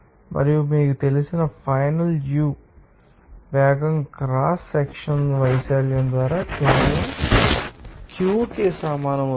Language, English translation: Telugu, And the final velocity as you know that u2 that will equal to just simply Q by cross sectional area